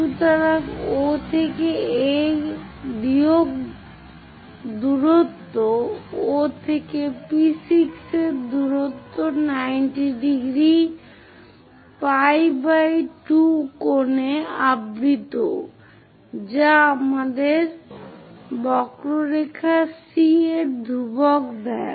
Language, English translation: Bengali, So, the distance from O to A minus distance O to P6 covered in 90 degrees pi by 2 angle which gives us a constant of the curve C